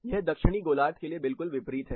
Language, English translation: Hindi, It is exactly the opposite for Southern hemisphere